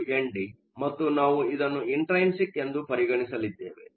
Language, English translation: Kannada, 1 N d, and we are going to treat this as intrinsic